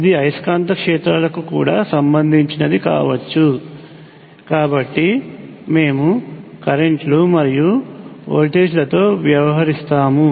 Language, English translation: Telugu, This could also be related to the magnetic fields as well, so we will deal with currents and voltages